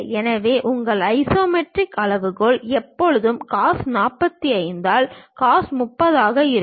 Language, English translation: Tamil, So, your isometric scale always be cos 45 by cos 30 in this case